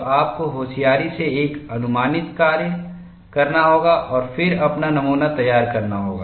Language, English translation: Hindi, So, you have to make a intelligent guess work and then prepare your specimen